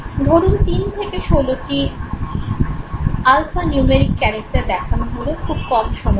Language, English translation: Bengali, Now 3 to 16 alpha numeric characters were displayed for a shorter period of time